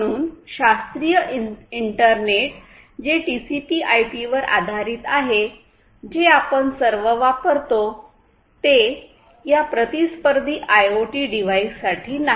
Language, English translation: Marathi, So, classical internet that the one that is based on TCP IP; the classical internet that we all use is not meant for these constraint IoT devices